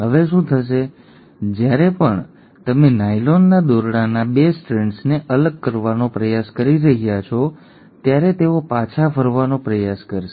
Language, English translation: Gujarati, Now what will happen is, every time you are trying to pull apart the 2 strands of the nylon rope, they will try to recoil back